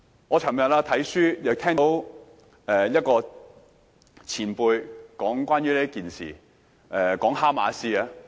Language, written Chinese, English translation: Cantonese, 我昨天看書，亦聽到一位前輩談論這件事時，提到哈馬斯。, Yesterday while reading a book I stumbled upon Hamas which I also heard about in a discussion with a senior